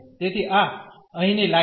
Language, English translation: Gujarati, So, this is the line here